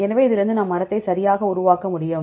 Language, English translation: Tamil, So, from this one we can construct the tree right